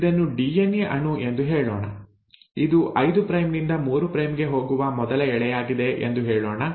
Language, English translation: Kannada, Let us say this is a DNA molecule, this is the first strand going 5 prime to let us say 3 prime